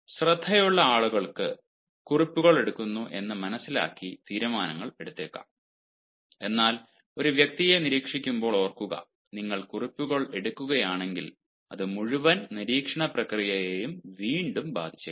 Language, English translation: Malayalam, careful people, ah, may decide it in such a manner that they may take notes, but remember, while making an observation, while making an observation of a person, and if you take notes, that may once again affect the entire observation process